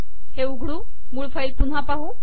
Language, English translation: Marathi, Lets open this file here